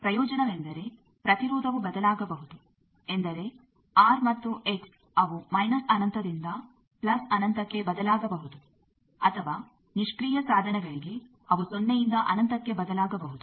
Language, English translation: Kannada, Advantage is you see impedance can vary that means, the R and X they can vary from minus infinity to plus infinity or for passive devices they can vary from 0 to infinity